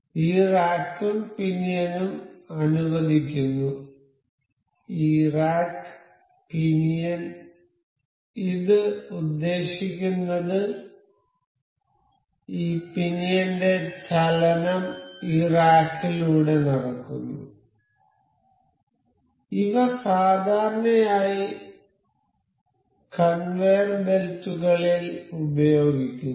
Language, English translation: Malayalam, So, this rack and pinion allow, this rack and pinion intends to this as the motion of this pinion will translate this rack, these are generally used in conveyor belts